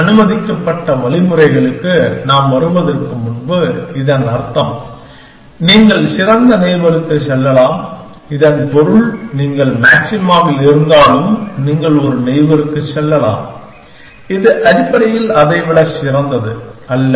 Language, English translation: Tamil, So, before we come to what is allowed means, it basically means that, you can move to the best neighbor, which means that, even if you are at maxima, you can go to a neighbor, which is not better than that essentially